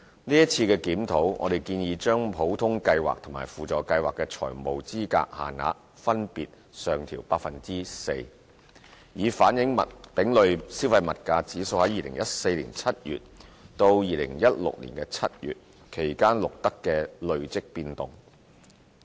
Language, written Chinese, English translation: Cantonese, 在今次的檢討，我們建議將普通計劃和輔助計劃的財務資格限額分別上調 4%， 以反映丙類消費物價指數在2014年7月至2016年7月期間錄得的累積變動。, For the current review we propose to increase the financial eligibility limits under OLAS and SLAS by 4 % to reflect the accumulated change in CPIC for the period of July 2014 to July 2016